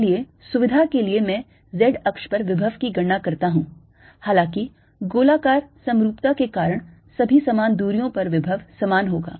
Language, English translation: Hindi, so for convenience i take calculate the potential alo[ng] on the z axis, although because of the spherical symmetry the potential is going to be same all around at the same distance